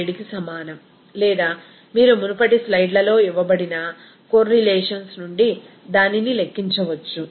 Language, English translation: Telugu, 7 or you can calculate it from the correlations that is given in the earlier slides